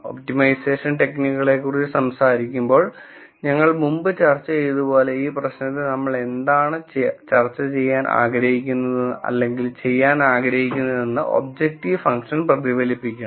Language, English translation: Malayalam, And as we discussed before when we were talking about the optimization techniques, the objective function has to reffect what we want to do with this problem